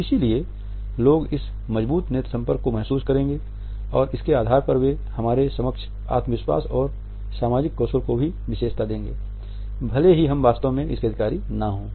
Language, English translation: Hindi, So, people would perceive this as strong eye contact and on the basis of this they would also attribute competence confidence and social skills to us even though we might not actually be possessing it